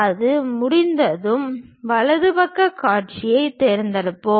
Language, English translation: Tamil, Once that is done we will pick the right side view